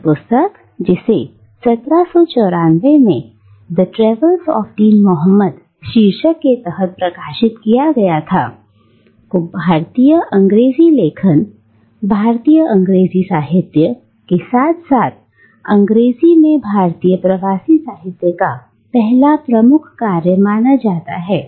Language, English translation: Hindi, And this book, which was published in 1794 under the title The Travels of Dean Mahomet, is simultaneously regarded as the first major work of Indian English writing, Indian English Literature, as well as the first major work of Indian Diasporic Literature in English